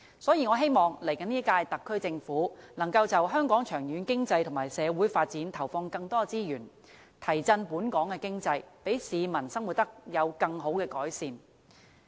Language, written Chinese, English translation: Cantonese, 所以，我希望下一屆特區政府能夠就香港長遠經濟及社會發展，投放更多資源，提振本港的經濟，讓市民生活得到更好的改善。, Therefore I hope the next - term SAR Government can allot more resources to the long - term economic and social development of Hong Kong boost its economy and thereby enabling the people enjoy further improvement in their lives